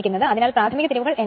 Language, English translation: Malayalam, So, primary turns N 1